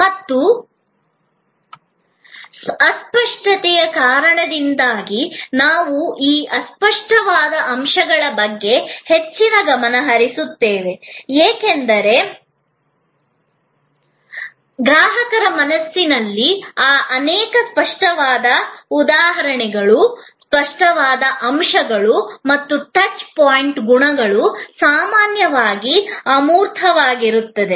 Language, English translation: Kannada, And because of the intangibility, we pay a lot of a attention to those tangible elements, because in the consumer’s mind, many of those tangible elements and the touch point qualities often act as a proxy for the intangible experience